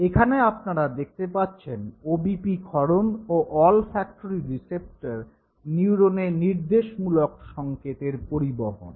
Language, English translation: Bengali, You can see the OBP release and the conduction of order signal in the olfactory receptor neurons